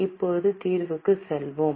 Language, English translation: Tamil, Now let us go to the solution